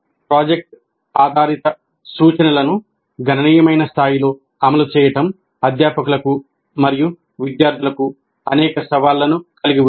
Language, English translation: Telugu, Implementing project based instruction on a significant scale has many challenges, both for faculty and students